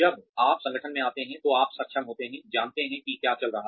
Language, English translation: Hindi, When you come into the organization, you are able to, know what is going on